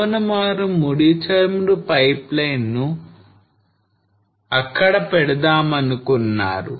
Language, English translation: Telugu, So they wanted to lay the crude oil pipeline